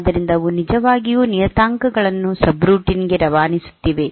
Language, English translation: Kannada, So, those are actually passing the parameters to the subroutine